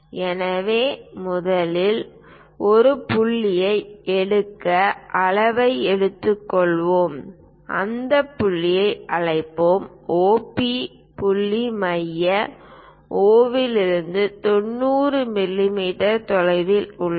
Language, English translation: Tamil, So, first let us take scale pick a point, let us call that point as O P point is 90 mm away from centre O